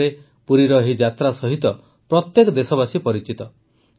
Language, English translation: Odia, All of us are familiar with the Puri yatra in Odisha